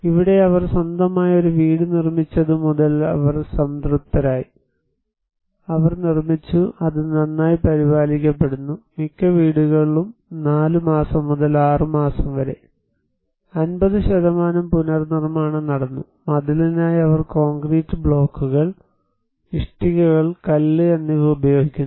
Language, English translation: Malayalam, Here was it was since they built their own house, they were satisfied and they constructed and it is well maintained and most of the houses by 4 months to 6 months, a 50% reconstruction took place and for the wall, they use concrete blocks, bricks, stone